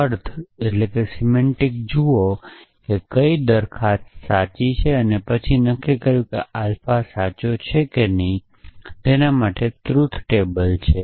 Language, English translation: Gujarati, Or look at the semantics as to which propositions are true and then decided the alpha is true or not that amounts to constructing a truth table